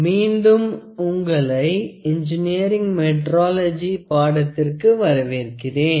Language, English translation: Tamil, Welcome back to the course on Engineering Metrology